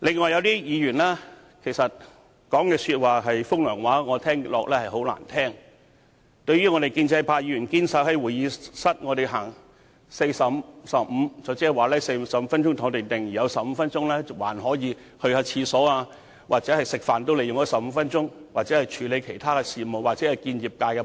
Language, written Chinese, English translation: Cantonese, 有些議員則在說風涼話，我覺得很難聽，內容是關於建制派議員堅守在會議廳奉行 "45、15" 的原則，即45分鐘留在會議廳，另15分鐘用來上洗手間、用膳、處理其他事務或與業界會面。, I find the cynical remarks made by some Members rather unpleasant to the ear . They said that pro - establishment Members have been staunchly defending the Chamber following the 45 - 15 principle―meaning that we would stay in the Chamber for 45 minutes and then break for 15 minutes to go to the toilet attend to other business or meet with members of their trade